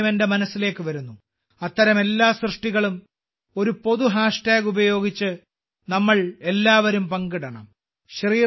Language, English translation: Malayalam, One thing comes to my mind… could we all share all such creations with a common hash tag